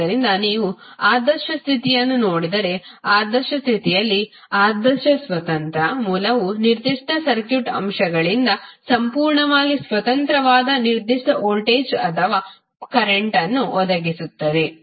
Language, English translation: Kannada, So, if you see the ideal condition in ideal condition the ideal independent source will provide specific voltage or current that is completely independent of other circuit elements